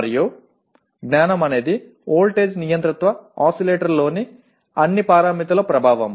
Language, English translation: Telugu, And knowledge is effect of all parameters in voltage controlled oscillators